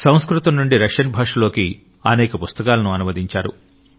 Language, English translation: Telugu, He has also translated many books from Sanskrit to Russian